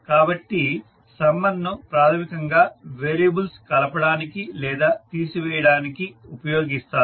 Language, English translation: Telugu, So summer is basically used for either adding or subtracting the variables